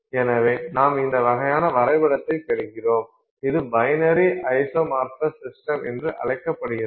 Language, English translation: Tamil, So, so therefore you get this kind of a diagram and this is called a binary isomorphous system